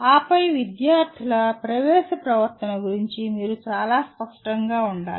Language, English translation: Telugu, And then you must be very clear about what is the entering behavior of students